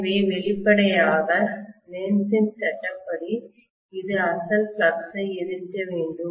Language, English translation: Tamil, So obviously by Lenz’s law this has to oppose the original flux